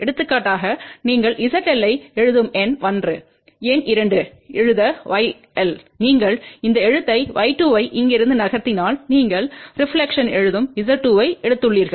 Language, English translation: Tamil, For example, number 1 you write Z L; number 2 write y L, you are moving this write y 2 from here you have taken a reflection write Z 2